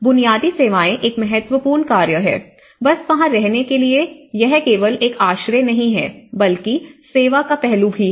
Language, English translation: Hindi, So, basic services is an important task, how in order to just live there for them it is not just only a shelter, it also has to be with service aspect